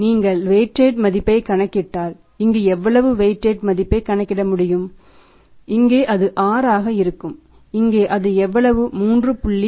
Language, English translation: Tamil, So what is the weighted value, if you calculate the weighted value here this will work out as how much that is 6 this will work out as 3